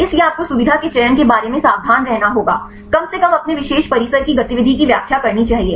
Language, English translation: Hindi, So, you have to be careful about the feature selection, there should be at least explain the activity of your particular compound